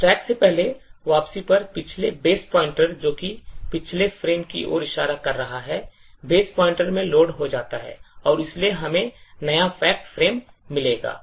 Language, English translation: Hindi, So, on the first return from the stack the previous base pointer which is pointing to the previous frame gets loaded into the base pointer and therefore we would get the new fact frame